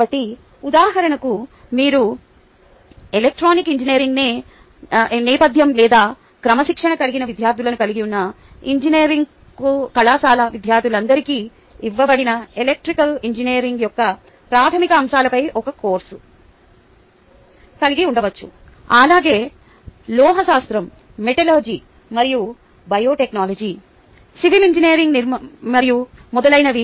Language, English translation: Telugu, ok, so, for instance, ah, you can have a course on basics of electrical engineering given to all students off an engineering college where you have students from electrical engineering background or discipline as well as students from, lets say, metallurgy and biotechnology, civil engineering and a so on